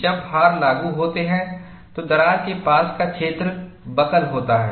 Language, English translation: Hindi, When the loads are applied, the region near the crack buckles